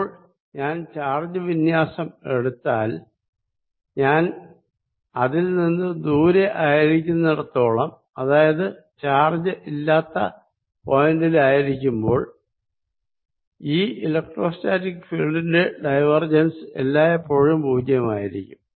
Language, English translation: Malayalam, so now, if i take charge distribution, as long as i am away from the charge distribution, that means at a point, at a point where there is no charge, diversions of electrostatic field will always be zero